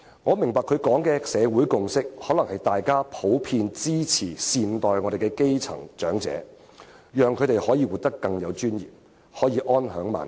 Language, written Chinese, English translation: Cantonese, 我明白他所說的"社會共識"，是指大家普遍支持應好好照顧基層的長者，讓他們可以活得更有尊嚴，並能安享晚年。, I understand what he calls the social consensus actually means that people in Hong Kong are generally in support of taking proper care of the grass - roots elderly so that they can live with dignity and enjoy at ease their twilight years